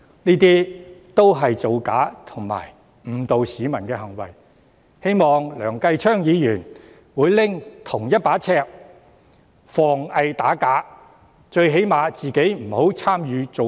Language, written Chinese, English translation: Cantonese, 這些也是造假及誤導市民的行為，希望梁繼昌議員會採用同一把尺防偽打假，最低限度他本人不要參與造假。, These are also acts to deceive and mislead members of the public so I hope Mr Kenneth LEUNG will apply the same principle against bogus claims . At least he himself should not involve in any of these bogus acts